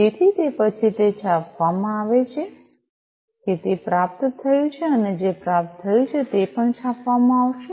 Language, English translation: Gujarati, So, thereafter it is going to print that it has been received and what has been received is also going to be printed